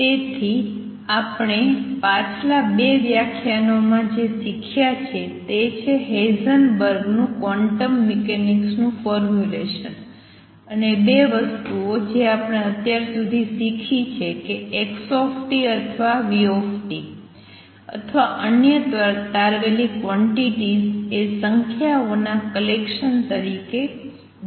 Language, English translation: Gujarati, So, what we have learnt in the previous 2 lectures is the Heisenberg’s formulation of quantum mechanics and 2 things that we have learned so far our number one that quantities like xt or vt or other derived quantities are to be expressed as a collection of numbers, which we now know are matrices solid as matrices